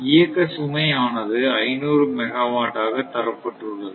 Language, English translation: Tamil, Normal operating load is 500 megawatt at 50 hertz